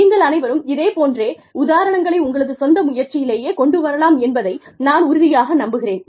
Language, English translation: Tamil, I am sure, you all can come up with similar examples, on your own